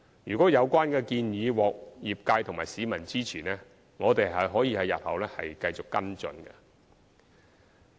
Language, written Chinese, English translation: Cantonese, 如果有關建議獲業界和市民支持，我們日後可以繼續跟進。, If the proposal is supported by the trade and the public we can continue to follow up in future